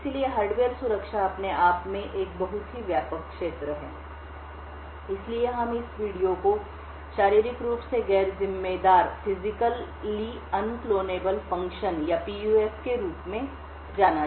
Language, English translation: Hindi, So, the Hardware Security itself is a very broad field, So, we will be starting this video with a something known as Physically Unclonable Functions or PUFs